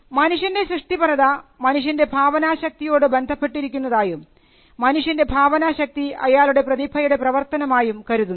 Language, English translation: Malayalam, So, human creativity revolved around human imagination and human imagination was something that was attributed to the work of a genius